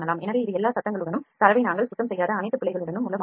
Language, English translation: Tamil, So, this is the model with all the noises and all the errors we have not cleaned the data